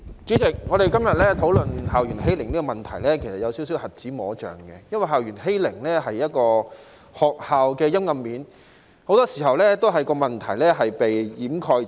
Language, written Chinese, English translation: Cantonese, 主席，我們今天討論校園欺凌的問題，其實是有一些瞎子摸象的，因為校園欺凌是學校的陰暗面，很多時候問題也會被掩蓋。, President when we discuss the problem of school bullying today it is somehow like the blind men describing an elephant for school bullying is the dark side of schools which are very often being covered up